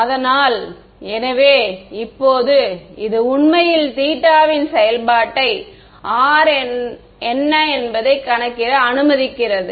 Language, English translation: Tamil, So, so now, this gives this actually allows us to calculate what R is as a function of theta